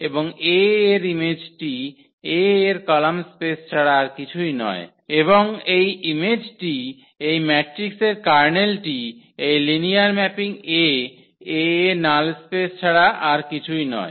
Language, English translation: Bengali, And this image of A is nothing but the column space of A and this image the kernel of this matrix this linear mapping A is nothing but the null the null space of A